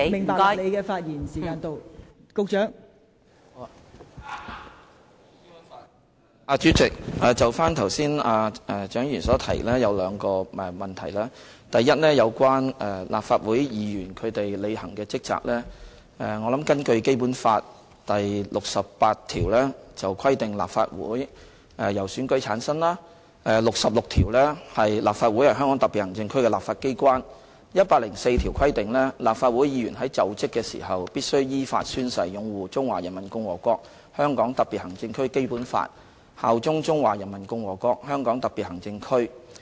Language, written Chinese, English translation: Cantonese, 代理主席，就蔣議員剛才所提及的兩個問題：第一，有關立法會議員履行的職責，根據《基本法》第六十八條，規定立法會由選舉產生；第六十六條，立法會是香港特別行政區的立法機關；第一百零四條規定，立法會議員"在就職時必須依法宣誓擁護中華人民共和國香港特別行政區基本法，效忠中華人民共和國香港特別行政區"。, First in regard to the duties discharged by the Legislative Council Members in accordance with Article 68 of the Basic Law the Legislative Council shall be constituted by election . Article 66 provides that the Legislative Council shall be the legislature of the Region . Article 104 provides that when assuming office Members of the Legislative Council must in accordance with law swear to uphold the Basic Law of the Hong Kong Special Administrative Region of the Peoples Republic of China and swear allegiance to the Hong Kong Special Administrative Region of the Peoples Republic of China